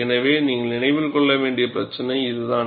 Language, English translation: Tamil, So, that is the issue that, you have to keep in mind